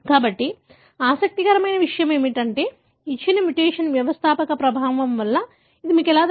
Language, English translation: Telugu, So, what is interesting, how do you know that a given mutation is because of founder effect